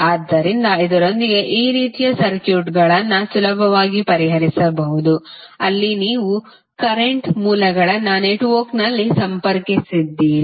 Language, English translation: Kannada, So, with this you can easily solve these kind of circuits, where you have current sources connected in the network